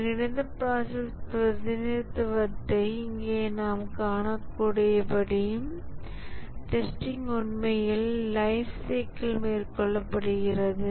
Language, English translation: Tamil, As you can see in the unified process representation here, the testing is actually carried out over the lifecycle